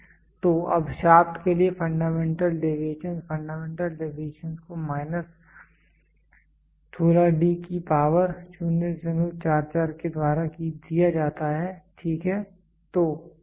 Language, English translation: Hindi, So, now for shaft the fundamental deviations the fundamental deviations is given by what minus 16 D to the power 0